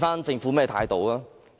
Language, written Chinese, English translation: Cantonese, 政府的態度又如何？, What then is the Governments attitude?